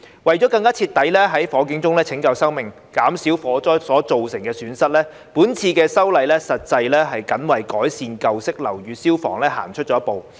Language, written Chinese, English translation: Cantonese, 為了更徹底在火警中拯救生命、減少火災所造成的損失，這次修例實際是僅為改善舊式樓宇消防行出了一步。, In order to save lives in fires more rigorously and reduce the damage caused by fires this legislative amendment exercise is indeed only a step forward in improving fire protection in old buildings